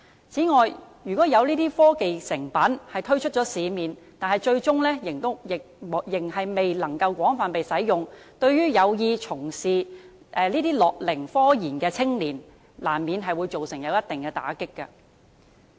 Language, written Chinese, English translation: Cantonese, 此外，如果這些科技成品推出市面，但最終未能被廣泛使用，難免會對有意從事樂齡科研的青年造成一定的打擊。, Besides if these technological products are introduced into the market but ultimately cannot be put to extensive application it will inevitably deal a bitter blow to the young people who intend to engage in scientific research in gerontechnology